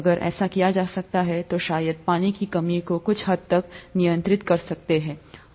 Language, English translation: Hindi, So, if that can be done probably the water shortage can be handled to a certain extent